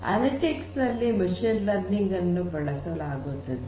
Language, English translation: Kannada, Machine learning being used for analytics